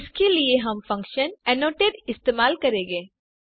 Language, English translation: Hindi, To do this use the function annotate